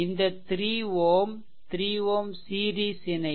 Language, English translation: Tamil, And this 3 ohm and this 3 ohm is in series